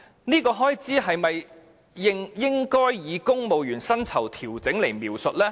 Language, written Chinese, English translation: Cantonese, 這項開支是否應該以調整公務員薪酬來描述呢？, Should this expenditure be described as civil service pay adjustment then?